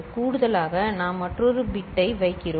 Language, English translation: Tamil, In addition there is another bit we have put